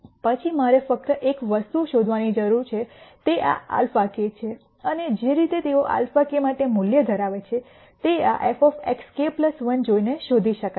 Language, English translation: Gujarati, Then the only thing that I need to find out is this alpha k and the way they are value for alpha k is found out is by looking at this f of x k plus 1